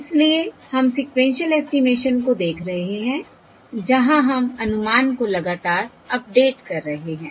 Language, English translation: Hindi, So we are looking at sequential estimation where we are continuously updating the estimate